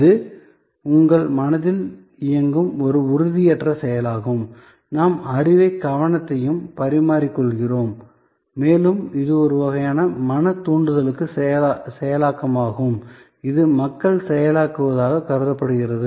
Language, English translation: Tamil, It is an intangible action directed at your mind and we are exchanging knowledge and attention and it is a kind of mental stimulus processing as suppose to people processing